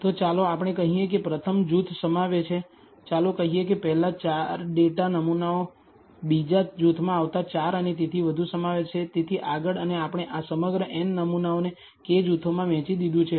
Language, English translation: Gujarati, So, let us say the first group contains, let us say, the first 4 data samples the second group contains the next 4 and so on, so forth and we have divided this entire n samples into k groups